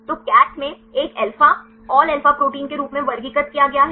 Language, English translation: Hindi, So, classified as a alpha all alpha protein right in CATH